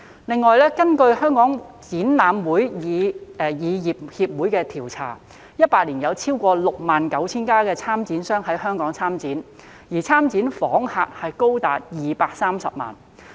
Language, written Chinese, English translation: Cantonese, 此外，根據香港展覽會議業協會的調査 ，2018 年有超過 69,000 家參展商在香港參展，而參展訪客人數高達230萬。, Moreover according to a survey conducted by the Hong Kong Exhibition Convention Industry Association the year 2018 saw participation from more than 69 000 exhibiting companiesin Hong Kong with as many as 2.3 million visitors participating in the exhibitions